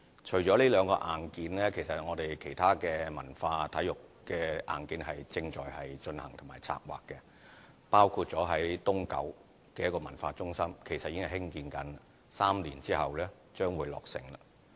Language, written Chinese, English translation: Cantonese, 除了這兩個硬件，其他文化、體育的硬件亦正在進行和策劃，包括位於東九的文化中心正在興建 ，3 年之後將會落成。, Apart from these two pieces of hardware other pieces of cultural and sports hardware are being under construction and planning including the East Kowloon Cultural Centre which is now under construction and will be commissioned three years later